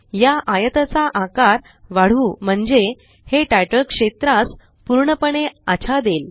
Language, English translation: Marathi, Lets enlarge this rectangle so that it covers the title area completely